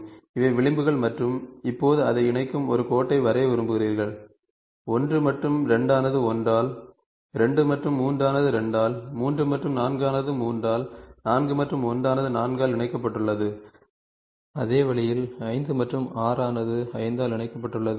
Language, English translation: Tamil, These are the edges and now if you want to draw a line connecting that, so 1 and 2 is connected by 1, 2 and 3 by 2, 3 and 4 by 3, 4 and 1 by 4 and in the same way 5 and 6 by 5 you are drawing a line